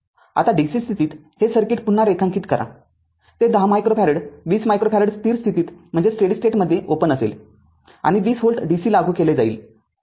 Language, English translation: Marathi, Now, we will we will redraw the circuit right under dc condition that that 10 micro farad 20 micro farad it will be open at steady state right; and 20 volt dc is applied